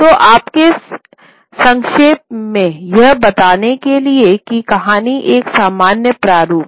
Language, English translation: Hindi, So, to tell you in a nutshell the story is there is a general format